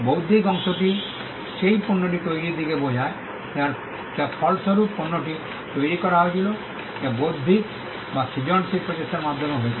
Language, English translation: Bengali, The intellectual part refers to the creation of the product the way in which the product the resultant product was created which was through an intellectual or a creative effort